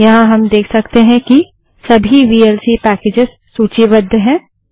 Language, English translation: Hindi, Here we can see that vlc media player is listed